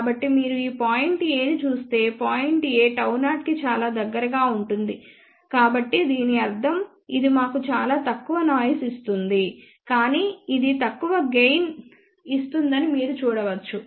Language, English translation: Telugu, So, if you look at point A, this point A is very very close gamma 0 so that means, this will give us very low noise figure, but then you can see that it will give relatively less gain